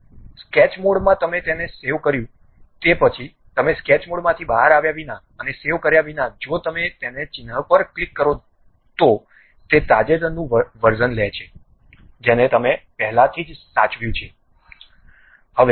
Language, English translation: Gujarati, In the sketch mode you saved it, after that you straight away without coming out of sketch mode and saving it if you click that into mark, it takes the recent version like you have already saved that is [FL]